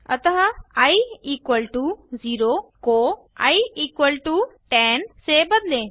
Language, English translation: Hindi, So change i equal to 0 to i equal to 10